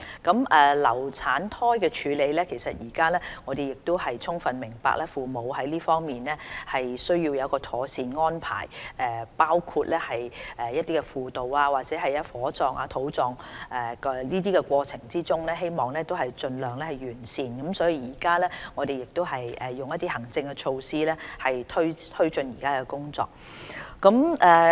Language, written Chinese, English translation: Cantonese, 至於流產胎的處理，我們充分明白父母在這方面需要妥善的安排，包括輔導，以至在火葬或土葬的過程中希望盡量做到完善，就此，我們實施多項行政措施推進目前工作。, About the handling of abortuses we fully understand that parents need proper arrangement in this respect including counselling service and a burial or cremation which should be decently held as much as possible . In this connection we have implemented several administrative measures to take forward the current task